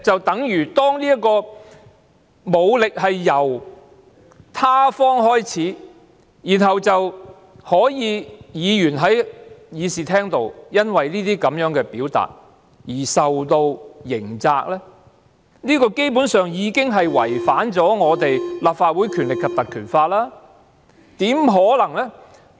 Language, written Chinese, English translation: Cantonese, 當武力由他方開始，然後議員在議事廳內因為這些表達而受到刑責，這基本上已經違反《條例》，怎麼可能是這樣？, When force was initiated from their side but criminal liability was imposed on Members because of their expressions in the Chamber it has basically contravened the provision of the Ordinance . How can that be possible?